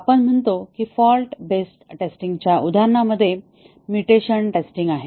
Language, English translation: Marathi, We just said mutation testing in an example of fault based testing